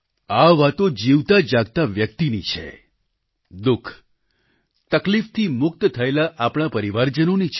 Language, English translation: Gujarati, These stories are of live people and of our own families who have been salvaged from suffering